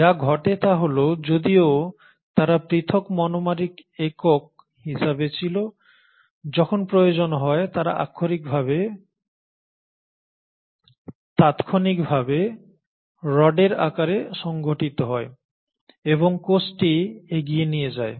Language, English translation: Bengali, So what happens is though they were existing as individual monomeric units, if the need be they immediately organise as rods and push the cell forward